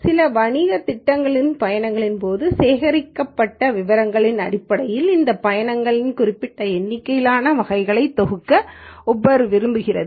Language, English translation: Tamil, Uber wants to group this trips into certain number of categories based on the details collected during the trips for some business plan